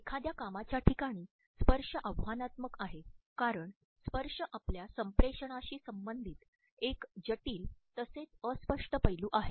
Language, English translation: Marathi, Examining touch in a workplace is challenging as touch is a complex as well as fuzzy aspect related with our communication